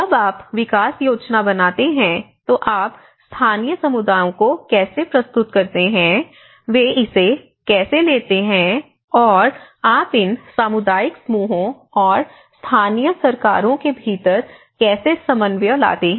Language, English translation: Hindi, When you make certain development scheme, how you present to the local communities, how they take it, how you bring that coordination within these community groups and the local governments